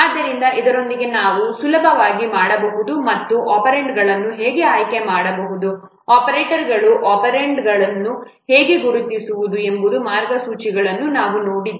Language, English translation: Kannada, So with this we can easily and we have seen the guidelines how to select the operands, how to identify the operands and operators